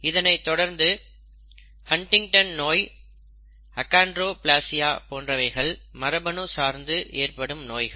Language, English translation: Tamil, So are Huntington’s disease and Achondroplasia and so on and so forth; these are just examples